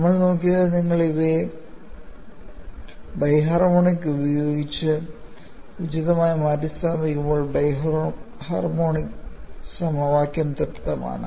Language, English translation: Malayalam, And what we looked at was when you substitute these appropriating in the bi harmonic, the bi harmonic equation is satisfied